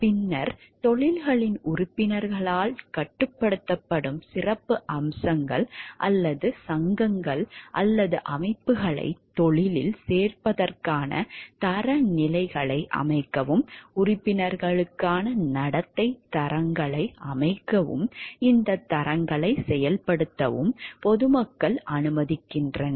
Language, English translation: Tamil, Then, the public allows special societies or organizations that are controlled by members of the professions to set standards for admission to the profession and to see to set standards of conduct for members and to enforce these standards